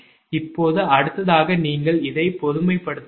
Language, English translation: Tamil, next you would, because we have to generalize it